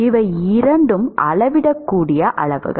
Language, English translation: Tamil, Is it a measurable quantity